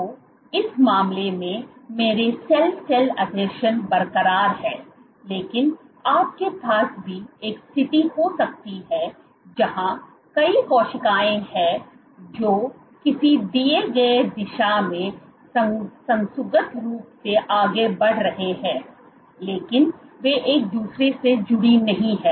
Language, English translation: Hindi, So, in this case my cell cell adhesions are intact, but you might also have a situation and you have multiple cells which are moving coherently in a given direction, but they are not attached to each other